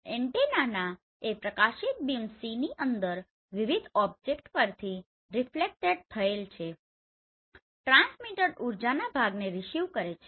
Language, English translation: Gujarati, The antenna receives a portion of the transmitted energy reflected from various object within the illuminated beam C